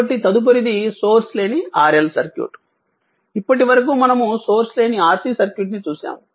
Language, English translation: Telugu, So, next is that source free RL circuit, we saw till now we saw source free Rc circuit now will see is a source free RL circuit